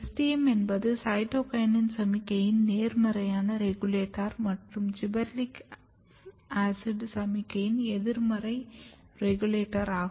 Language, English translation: Tamil, So, STM is important, STM is a positive regulator of cytokinin signaling and negative regulator of gibberellic acid signaling